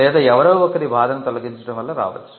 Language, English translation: Telugu, Or it could come as a result of removing somebody’s pain